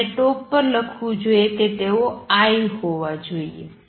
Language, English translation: Gujarati, I should write on the top they should be I